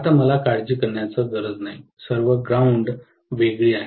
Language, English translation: Marathi, Now, I do not have to worry, all the grounds are separate, right